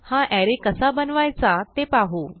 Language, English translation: Marathi, Let us see how to create such array